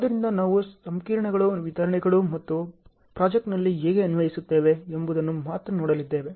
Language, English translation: Kannada, So, we are only going to see the equations, explanations and how do we apply in a project ok